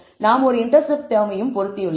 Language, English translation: Tamil, Also we have also fitted an intercept term